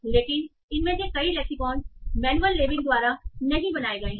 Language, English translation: Hindi, But many of these lexicon were not created by manual labeling